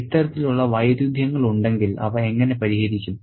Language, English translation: Malayalam, And if there are these sort of conflicts, how are they resolved or sorted